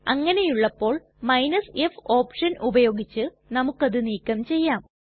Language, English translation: Malayalam, But if we combine the r and f option then we can do this